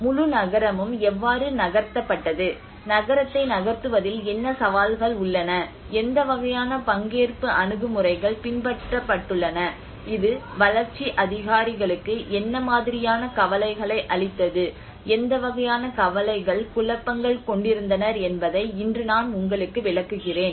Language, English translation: Tamil, And today I will explain you that how the whole city has been moved and what are the challenges involved in this moving as town, and what kind of participatory approaches has been adopted, what kind of concerns it has the development authorities have shown, and what kind of confusions they have ended up with